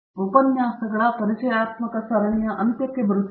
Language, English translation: Kannada, So, we are coming to an end of the introductory series of lectures